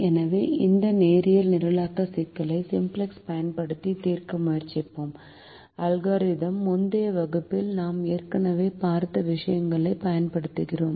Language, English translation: Tamil, so we will try to solve this linear programming problem using the simplex algorithm, using the things that we have already seen in the earlier classes